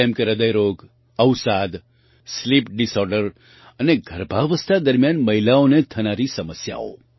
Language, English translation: Gujarati, Like Heart Disease, Depression, Sleep Disorder and problems faced by women during pregnancy